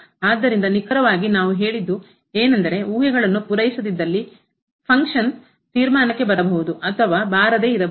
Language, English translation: Kannada, So, exactly what we have said if the hypotheses are not met the function may or may not reach the conclusion